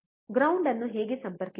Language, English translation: Kannada, How to connect the ground